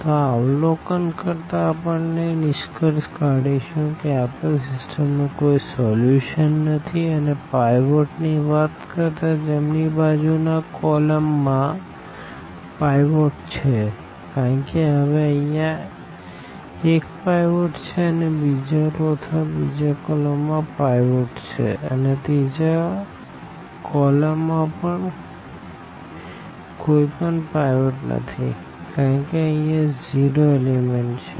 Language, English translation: Gujarati, So, by observing this we conclude that this system the given system has no solution and in other words in terms of the pivots we call that the right the rightmost column has a pivot because now this is the pivot here and this is the pivot in the second row or in the second column; the third column has no pivot because this cannot be pivot because this is a 0 element